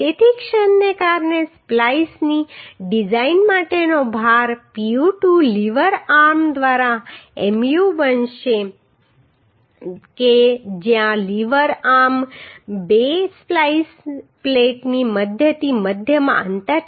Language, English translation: Gujarati, So Pu2 the load for design of splice due to moment will become Mu by lever arm where lever arm is the centre to centre distance of the two splice plates right